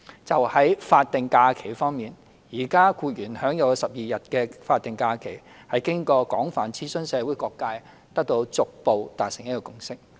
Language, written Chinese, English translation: Cantonese, 就法定假日方面，現時僱員享有的12天法定假日，是經過廣泛諮詢社會各界後得到逐步達成的共識。, Regarding statutory holidays the 12 statutory holidays currently entitled by employees were designated on the basis of a consensus gradually reached after extensive consultation of various sectors in society